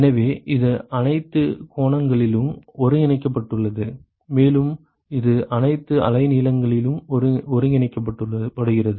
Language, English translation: Tamil, So, this is integrated over all angles and, it is integrated over all wavelengths